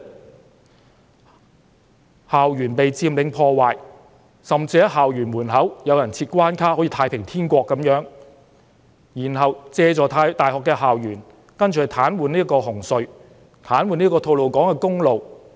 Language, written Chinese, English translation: Cantonese, 我們看到校園被佔領、破壞，甚至有人在校園門口設關卡，好像那裏是"太平天國"般，然後，這些人借助大學校園所在位置，癱瘓紅磡海底隧道、吐露港公路。, We saw that the campuses were occupied destroyed and some people even set up checkpoints at the gates of the campuses resembling the situation of the Taiping Heavenly Kingdom . Then these people paralysed the Hung Hom Cross - Harbour Tunnel and Tolo Highway by taking advantage of the locations of the university campuses